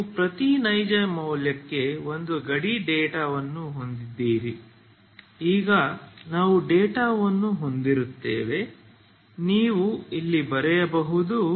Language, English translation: Kannada, You have a boundary data for every real value now we have the data so you can write here